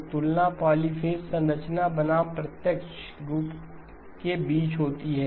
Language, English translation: Hindi, So polyphase the comparison is between polyphase structure versus the direct form